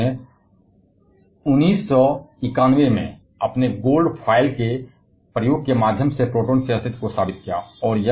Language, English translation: Hindi, Rutherford prove the existence of protons, through his gold foil experiment in 1911